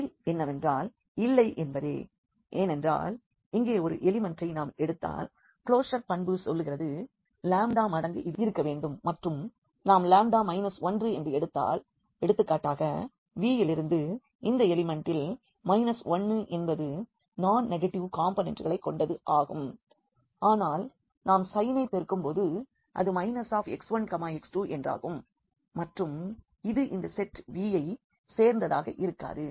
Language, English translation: Tamil, And the answer is no, because if we take one element here and the closure property says that the lambda times this we must be there and if we take lambda minus 1, for example, so, the minus 1 into the this element from V which are having this non negative components, but when we multiply with the minus sign it will become minus x 1 minus x 2 and this will not belongs to this set V